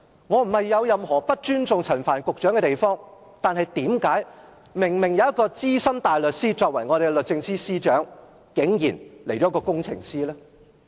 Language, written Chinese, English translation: Cantonese, 我沒有任何不尊重陳帆局長的意思，但既然有一名資深大律師擔任我們的律政司司長，為何現在竟然來了一名工程師呢？, With due respect to Secretary Frank CHAN I wonder why an engineer comes to us now when we do have a Senior Counsel working as our Secretary for Justice?